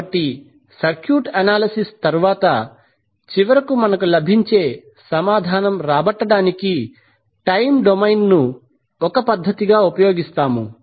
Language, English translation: Telugu, So, rather we will use the time domain as a method to give the answer which we get finally after the circuit analysis